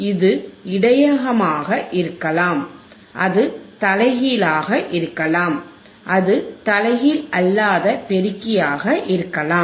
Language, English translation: Tamil, It can be buffer, it can be inverting, it can be non inverting amplifier